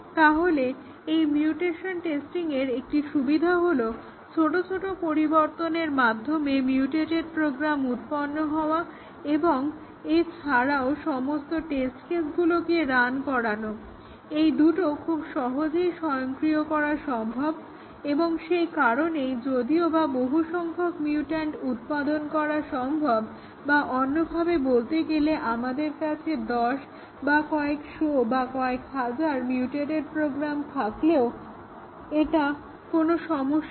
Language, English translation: Bengali, So, one advantage of this mutation testing is that generation of mutated program making small changes and also, running all the test cases, both can be very easily automated and therefore, even though it is possible to generate a large number of mutants or in other words, even though we can have tens or hundreds of thousands of mutated programs, it is not a problem